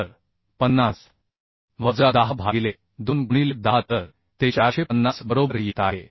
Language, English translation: Marathi, 5 into 50 by 10 into 250 by 410 so this value is coming 1